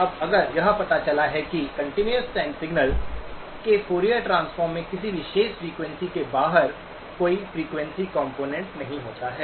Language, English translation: Hindi, Now, if it turns out that the Fourier transform of a continuous time signal does not have any frequency components outside a particular frequency